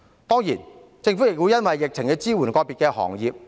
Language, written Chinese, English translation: Cantonese, 當然，各地政府亦會因應疫情而支援個別行業。, Certainly different governments would also support individual industries in response to the epidemic situation